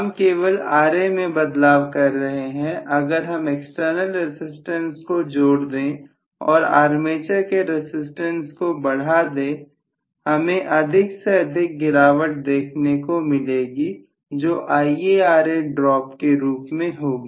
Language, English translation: Hindi, I am only modifying Ra, if I am increasing the armature resistance by including some external resistance I am going to have more and more drop in the form of Ia Ra drop